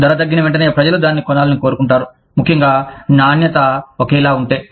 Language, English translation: Telugu, As soon as the price goes down, people will want to buy it, especially, if the quality is the same